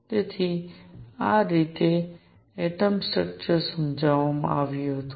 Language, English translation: Gujarati, So, this is how the atomic structure was explained